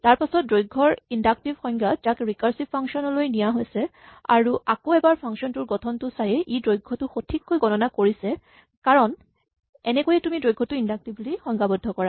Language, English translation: Assamese, This is an inductive definition of length which is translated into a recursive function and once again by just looking at the structure of this function, it is very obvious that it computes the length correctly because this is exactly how you define length inductively